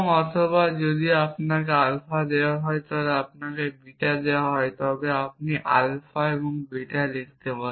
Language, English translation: Bengali, Or if alpha is given to you and beta is given to you then you can write alpha and beta